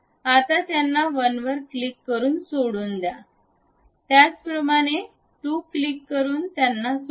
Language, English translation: Marathi, Now, leave them by click 1, similarly leave them by click 2